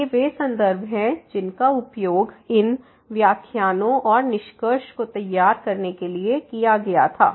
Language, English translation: Hindi, So, these are the references which were used for preparing these lectures and the conclusion